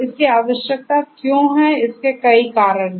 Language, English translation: Hindi, There are number of reasons why it is required